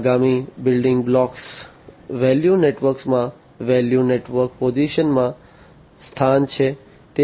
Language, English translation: Gujarati, The next building block is the position in the value network position in the value network